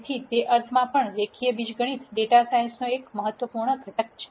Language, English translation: Gujarati, So, in that sense also linear algebra is an important com ponent of data science